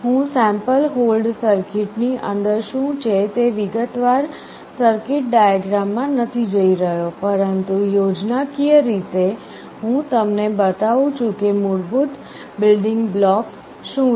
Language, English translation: Gujarati, I am not going into the detail circuit diagram what is that inside the sample hold circuit, but schematically I am showing you what are the basic building blocks